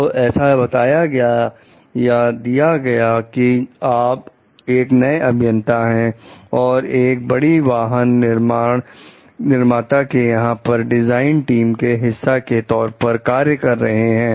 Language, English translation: Hindi, So, it is given like you are a new engineer working as a part of a design team for a large automobile manufacturer